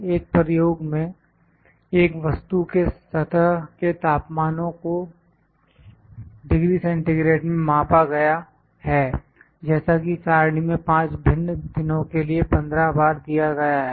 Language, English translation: Hindi, In an experiment the temperatures of the surface of a body measured in degree centigrade as shown in the following table 15 times at 5 different days